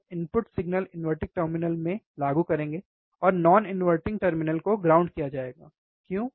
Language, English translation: Hindi, we will applied input signal to the to the inverting terminal, and the non inverting terminal would be grounded, why